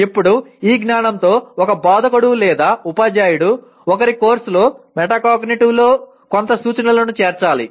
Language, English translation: Telugu, Now with all these knowledge an instructor or a teacher should incorporate some instruction in metacognitive during one’s course